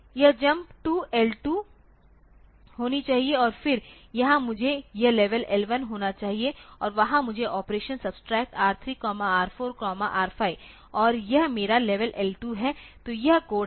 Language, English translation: Hindi, It should be a jump to L2 and then here I should have this level L1 and there I should do the operation subtract R3, R4, R5 and this is my level L2 so, this is the code